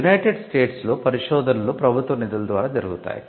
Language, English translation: Telugu, Now, in the United States the major funding happens through government funded research